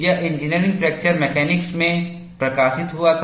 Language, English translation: Hindi, This was published in Engineering Fracture Mechanics